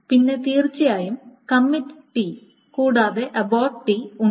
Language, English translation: Malayalam, Then, of course, there are this commit T and abort T